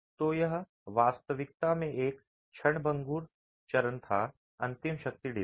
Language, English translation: Hindi, So, this was a transitory phase in reality, the ultimate strength design